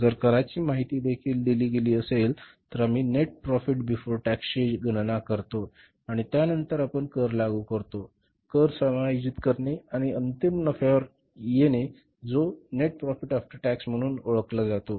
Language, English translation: Marathi, If the tax information is also given, then we work out the net profit before tax and after that we treat the tax, adjust the tax and we work out the final profit which is called as the net profit after tax